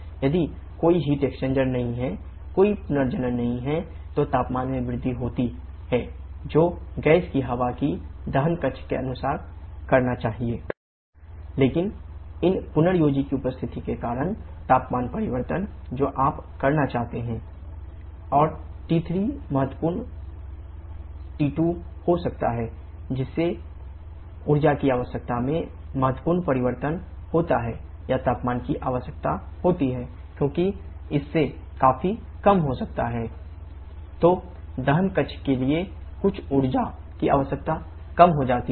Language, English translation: Hindi, If there is no heat exchanger, no regenerator, then the temperature rise that the air of the gas must experience in the combustion chamber should be equal to T4 T2, but because of the presence of this regenerator, the temperature change that you want to have is T4 T3 and and T3 can be significant T2 causing a significant change in this energy requirement or the temperature is requirement T4 T3 because that can be significantly lower than this T4 T2